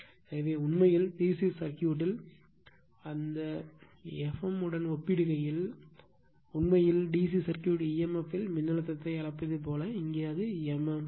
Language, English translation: Tamil, So, actually in the DC circuit, if you compare that F m actually like your what you call the voltage in DC circuit emf right, here it is m m f